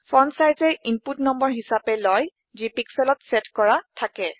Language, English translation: Assamese, Fontsize takes number as input, set in pixels